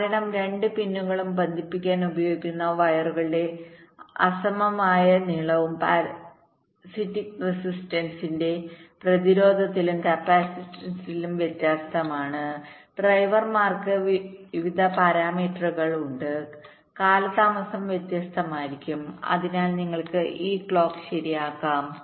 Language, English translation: Malayalam, because of the means unequal length of the wires that are used to connect the two pins, and also variability in the parasitic resistances and capacitances drivers various parameters are there, the delays can be different and because of that you can have this clock skew right